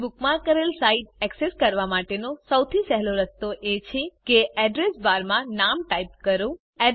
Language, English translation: Gujarati, The easiest way, to access a site that you bookmarked, is to type the name in the Address bar